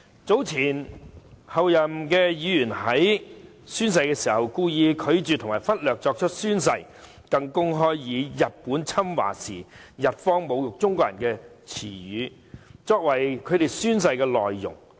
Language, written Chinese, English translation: Cantonese, 早前有前候任議員宣誓時故意拒絕及忽略作出宣誓，更公開以日本侵華時侮辱中國人的言詞作為宣誓的內容。, Earlier on at the oath - taking session a couple of former Members - elect deliberately declined and neglected to take the official oath and even publicly uttered as part of their oaths a word which was used to insult the Chinese people during the Japanese invasion of China